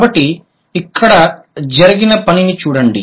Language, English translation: Telugu, So, look at the work that has been done here